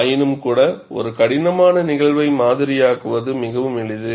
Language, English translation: Tamil, Nevertheless, it is quite simple to model a complex phenomenon